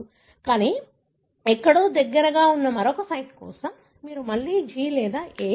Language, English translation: Telugu, But for another site that are somewhere close to, near by, you have again either G or A